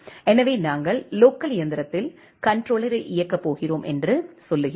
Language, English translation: Tamil, So, we are saying that we are going to run the controller in the local machine